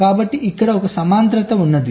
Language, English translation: Telugu, so there is a parallelism involved here